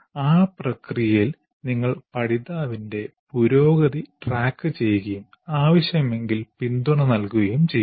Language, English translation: Malayalam, And then in the process you also track the learners progress and provide support if needed